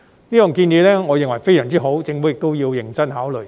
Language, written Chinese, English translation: Cantonese, 我認為這項建議非常好，政府也要認真考慮。, I think this is a very good proposal that the Government should seriously consider